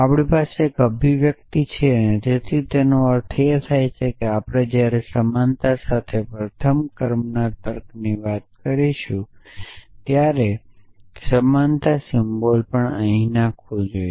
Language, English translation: Gujarati, So, we have an expression essentially so which means when we talk about first order logic with equality we must have the equality symbol also thrown in here